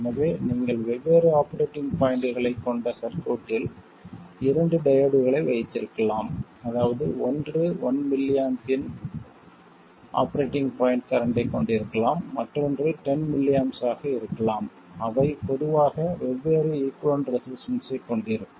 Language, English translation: Tamil, So you could have two diodes in the circuit with different operating points, that is one could be having an operating point current of 1mm, the other one could have 10mmmps, they'll have different equivalent resistances in general